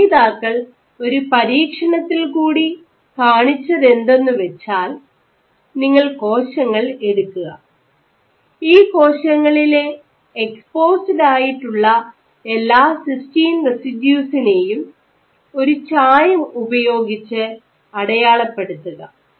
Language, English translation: Malayalam, So, what the authors showed, that if you do an experiment in which you take cells and you label all exposed cysteine, cysteine residues with one dye, and then you subject the cells to shear stress